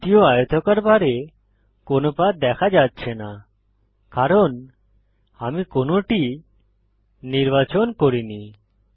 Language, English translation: Bengali, There is no path visible on the second rectangle bar because I did not select one